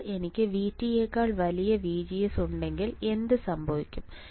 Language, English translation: Malayalam, Now, if I have VGS greater than V T, then what will happen